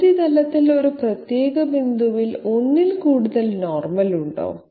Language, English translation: Malayalam, Is there more than one normal at a particular point on the surface